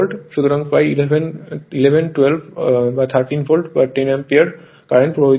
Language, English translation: Bengali, So, around 11, 12 or 13 Volt, you will find the 10 Ampere current is flowing